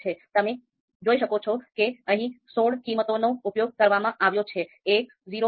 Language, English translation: Gujarati, So you can see sixteen values have been used here: 1, 0